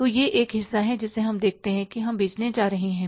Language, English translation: Hindi, So, this is the one part which we are going to see that we are going to sell